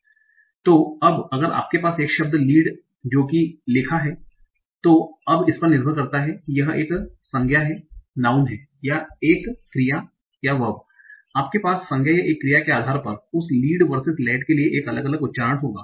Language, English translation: Hindi, So now if you have a word like lead written somewhere, now depending on whether it is a noun or a verb you will have a different pronunciation for that